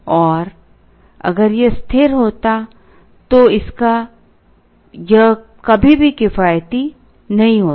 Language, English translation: Hindi, And if this were a constant it would never be economical to avail it